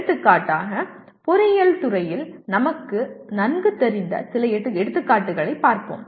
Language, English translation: Tamil, For example, let us look at some examples in engineering that we are familiar with